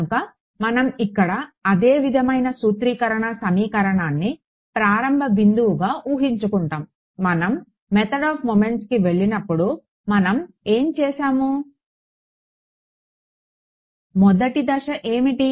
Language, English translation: Telugu, So, we will assume the same sort of formulating equation over here as a starting point, what did we do when we went to the method of moments, what was sort of step 1